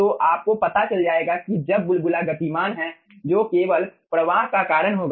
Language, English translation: Hindi, so you will be finding out when the bubble is moving, that will be only causing the flow